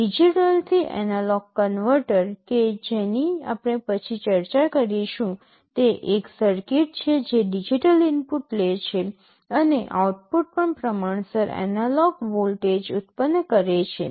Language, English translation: Gujarati, A digital to analog converter that we shall be discussing later is a circuit which takes a digital input and produces a proportional analog voltage at the output